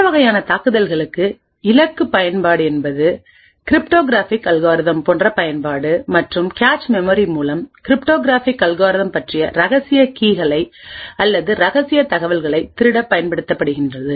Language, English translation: Tamil, For these forms of attacks target application such as cryptographic algorithms and have been used to steal secret keys or secret information about the cryptographic algorithm through the cache memory